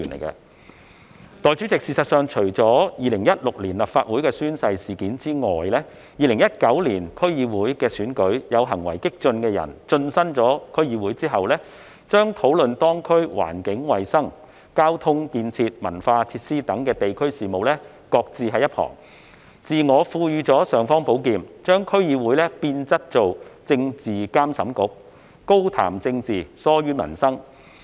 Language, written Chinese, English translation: Cantonese, 代理主席，事實上，除2016年的立法會宣誓事件外 ，2019 年的區議會選舉亦有行為激進的人士進身區議會後，把當區環境、衞生、交通建設及文化設施等地區事務擱置一旁，自我賦予"尚方寶劍"，把區議會變質為政治監審局，高談政治，疏於民生。, Deputy President in fact apart from the oath - taking incident happened in the Legislative Council in 2016 some radicals who were elected to the various District Councils DCs after the 2019 DC Election have also brushed aside local issues such as environment health transportation and cultural facilities and given themselves an imperial sword to turn DCs into a political monitoring body which only discusses politics but ignores peoples livelihood